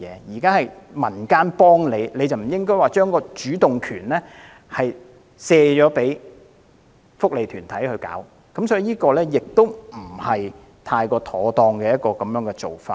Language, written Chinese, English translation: Cantonese, 現在是民間幫助漁護署，該署不應把主動權推卸給福利團體，這不是太妥當的做法。, The community is trying to help AFCD now . It should not shift the initiative to welfare organizations . This is inappropriate